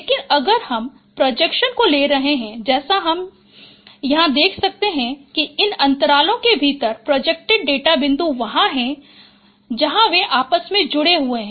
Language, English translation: Hindi, But if I take the projections as you can see here that within these intervals the projected data points there they are intermingled